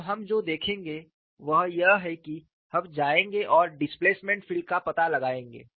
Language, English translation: Hindi, Now, what we will look at is, we will go and find out the displacement field